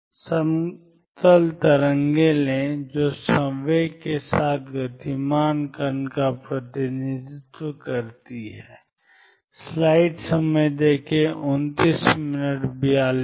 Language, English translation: Hindi, Take the plane waves which represent a particle moving with momentum p